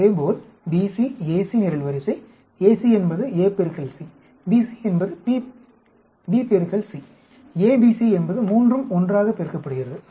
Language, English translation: Tamil, So BC, AC column, A into C, BC is B into C, ABC is all three together multiplied